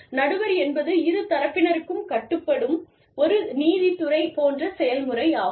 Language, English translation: Tamil, Arbitration is a quasi judicial process, that is binding on, both parties